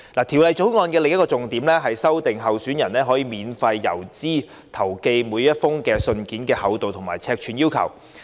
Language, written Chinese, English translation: Cantonese, 《條例草案》另一個重點是修訂候選人可免付郵資投寄的每封信件的厚度和尺碼規定。, Refining the requirement on thickness and size of each letter that may be sent free of postage by candidates is another major amendment proposed in the Bill